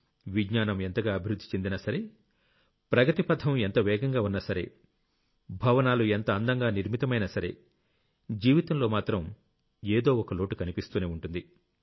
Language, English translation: Telugu, However much science may advance, however much the pace of progress may be, however grand the buildings may be, life feels incomplete